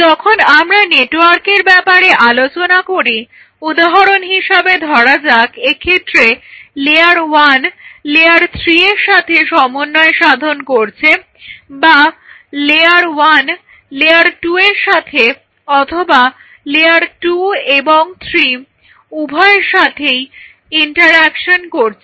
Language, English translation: Bengali, So, now, we do not have any control when if we talk about a network that whether layer 1 is interacting with say layer one is interacting with in this case with layer 3 or layer 1 is interacting with layer 2 as well as layer one is interacting with both layer 2 and layer 3